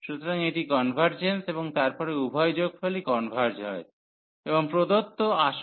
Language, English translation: Bengali, So, it convergence and then both the sum converges and the original the given integral converges